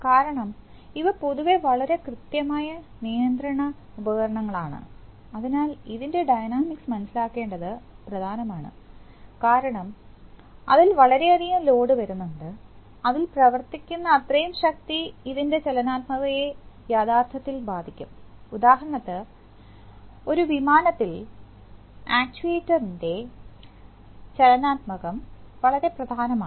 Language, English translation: Malayalam, Because these are very precision control devices generally, so this, it is important to understand the dynamics because there is so much load acting on it, that so much force acting on it that this dynamics can actually affect, for example in an aircraft, the dynamics of the act is very important